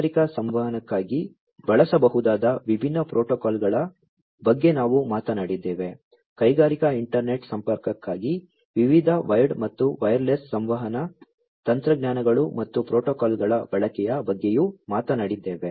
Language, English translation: Kannada, We have talked about different protocols that could be used for industrial communication, we have also talked about the use of different wired as well as wireless communication technologies and protocols, for industrial internet connectivity